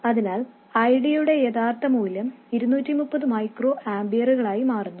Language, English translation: Malayalam, So the actual value of ID turns out to be 230 microamperors